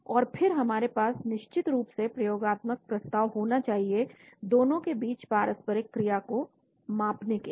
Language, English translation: Hindi, And then we should also of course have experimental approach assays for measuring the interactions between both